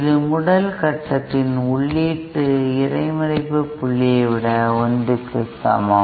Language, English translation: Tamil, This is equal to 1 over the input intercept point of the first stage like this